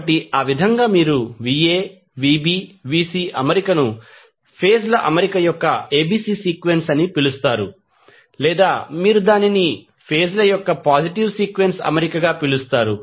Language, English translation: Telugu, So, in that way you can say that the particular Va Vb Vc arrangement is called as ABC sequence of the phase arrangement or you can call it as a positive sequence arrangement of the phases